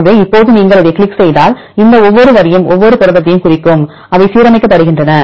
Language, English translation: Tamil, So, now if you click into this one, so these each line represents each protein, which are aligned